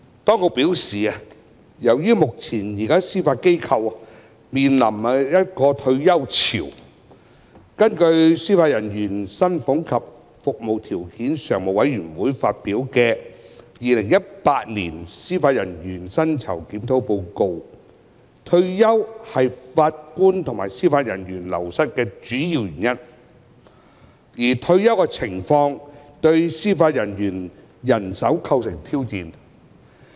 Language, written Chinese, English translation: Cantonese, 當局表示，由於目前司法機構面臨退休潮，根據司法人員薪俸及服務條件常務委員會發表的《二零一八年司法人員薪酬檢討報告》，退休是法官及司法人員流失的主要原因，而退休情況對司法人員人手構成挑戰。, The Administration indicates that in view of the wave of retirement now faced by the Judiciary and according to the Report on Judicial Remuneration Review 2018 published by the Standing Committee on Judicial Salaries and Conditions of Service retirement is the main source of wastage among Judges and Judicial Officers and the retirement situation may pose challenges to judicial manpower